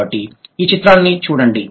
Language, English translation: Telugu, So, look at the picture here